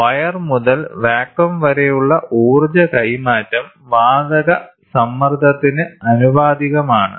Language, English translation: Malayalam, Hence, it follows the energy transfer from the wire to gas is proportional to the gas pressure